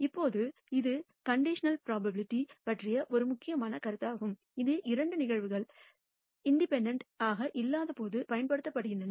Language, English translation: Tamil, Now that is an important notion of conditional probability, which is used when two events are not independent